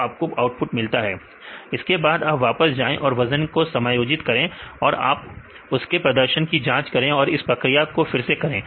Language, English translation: Hindi, So, you get the output then go back and adjust the weights and see the performance and do it again